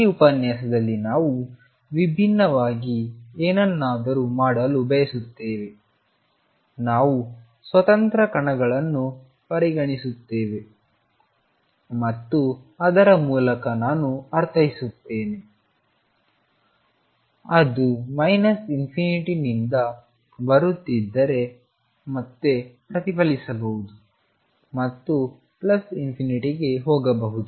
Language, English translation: Kannada, In this lecture, we want to do something different in this lecture, we consider free particles and by that I mean; they are coming from minus infinity may reflect back and go to plus infinity and so on